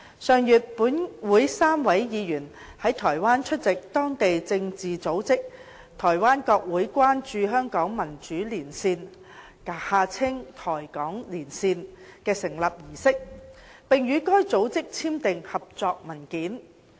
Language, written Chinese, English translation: Cantonese, 上月本會3位議員在台灣出席當地政治組織"台灣國會關注香港民主連線"的成立儀式，並與該組織簽訂合作文件。, Last month three Members of this Council attended in Taiwan the founding ceremony of a local political organization Taiwan Congressional Hong Kong Caucus the Caucus and signed a cooperation document with the Caucus